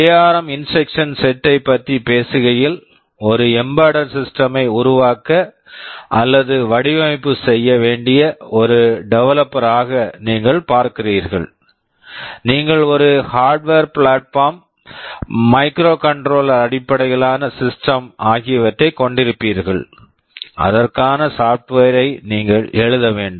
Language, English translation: Tamil, Talking about the ARM instruction set, you see as a developer you need to develop or design an embedded system, you will be having a hardware platform, a microcontroller based system and you have to write software for it